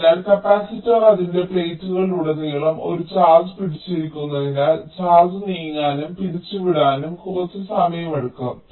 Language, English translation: Malayalam, so ah, because the capacitor is holding a charge across its plates, it will take some time for the charge to move and dissipate so instantaneously